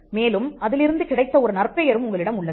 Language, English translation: Tamil, And you have some kind of reputation that is come out of it